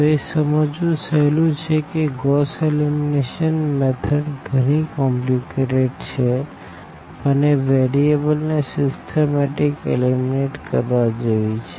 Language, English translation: Gujarati, So, it is easy to understand that this Gauss elimination is nothing very very complicated, but it is like eliminating the variables in a systematic fashion